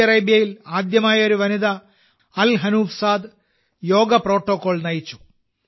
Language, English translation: Malayalam, For the first time in Saudi Arabia, a woman, Al Hanouf Saad ji, led the common yoga protocol